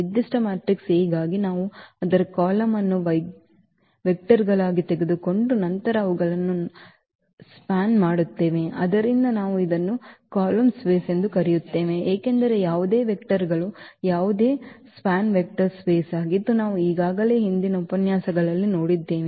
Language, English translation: Kannada, So, for a given matrix A we take its column as vectors and then span them, so that is what we call the column space because any span of any vectors that is a vector space which we have already seen in previous lectures